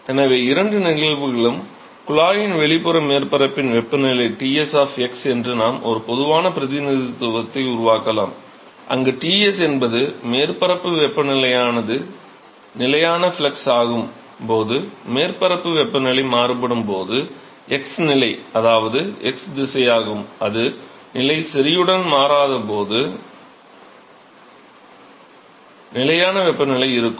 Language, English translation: Tamil, So, for both the cases we can make a general representation that the temperature of the exterior surface of the of the tube is Ts of x, where Ts is the surface temperature as if it is constant flux when the surface temperature can in principle vary with the x position this is x direction and if it is constant temperature when it does not change with position right